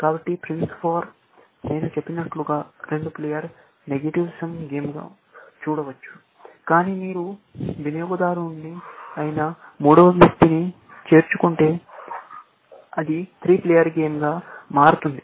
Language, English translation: Telugu, So, Price War, as I said, can be seen as a two player negative sum game, but if you include the third person, which is the consumer, then it becomes the three player game